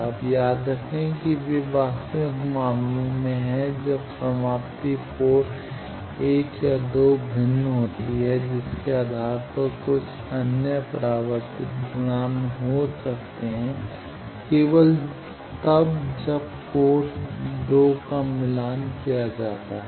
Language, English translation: Hindi, Now, remember that they are in actual cases when the terminations are different in port 1 or 2 based on that there can be some other deflection coefficient, only when a port 2 is matched